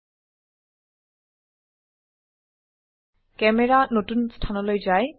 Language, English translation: Assamese, The camera moves to the new location